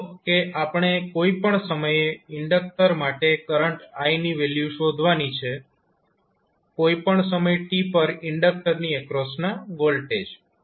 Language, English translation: Gujarati, Suppose we need to find the value of current I at any time t for the inductor, voltage across inductor at any time t